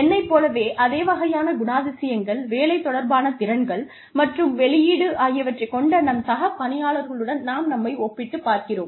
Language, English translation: Tamil, We compare ourselves to our peers, who have the same kind of characteristics, job related skills, and output, as we do